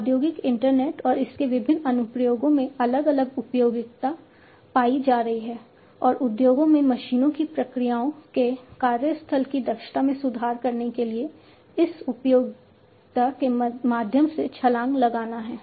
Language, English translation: Hindi, Industrial internet and its different applications are finding different usefulness and one has to leap through these usefulness to improve upon the efficiency of the workplace of the processes of the machines in the industries even further